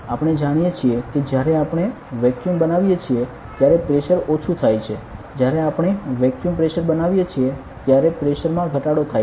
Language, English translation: Gujarati, We know that when we create a vacuum the pressure decreases, when we create vacuum pressure decreases correct pressure decreases